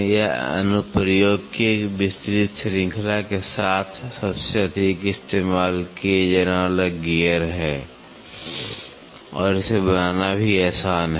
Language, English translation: Hindi, This is the most commonly used gear with a wide range of application and it is also easy to manufacture